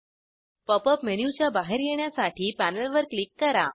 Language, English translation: Marathi, Click on the panel to exit the Pop up menu